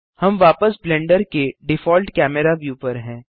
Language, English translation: Hindi, We are back to Blenders default view